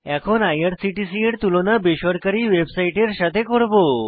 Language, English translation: Bengali, We will now compare IRCTC with Private website